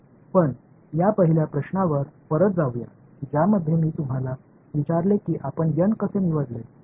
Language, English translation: Marathi, But let us get back to this the first question which I asked you how you chose n right